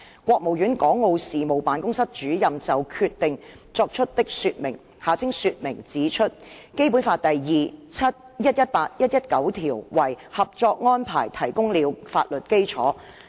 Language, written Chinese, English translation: Cantonese, 國務院港澳事務辦公室主任就《決定》作出的說明指出，《基本法》第二、七、一百一十八和一百一十九條為《合作安排》提供了法律基礎。, The explanations made by the Director of the Hong Kong and Macao Affairs Office of the State Council on the Decision pointed out that Articles 2 7 118 and 119 of the Basic Law had provided the legal basis for the Co - operation Arrangement